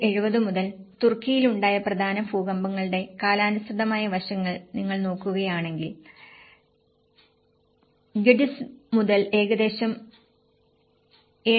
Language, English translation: Malayalam, If you look at the chronological aspects of the major earthquakes in the Turkey since 1970, starting from Gediz which is about 7